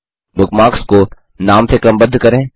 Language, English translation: Hindi, The bookmarks are sorted by name